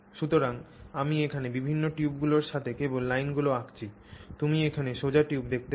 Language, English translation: Bengali, So, I'm just drawing lines along the various tubes that I can see here